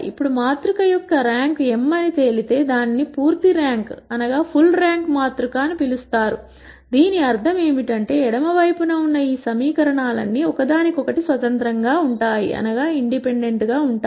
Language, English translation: Telugu, Now if the rank of the matrix turns out to be m, then it is what is called the full rank matrix, what this basically means, that all of these equations on the left hand side are independent of each other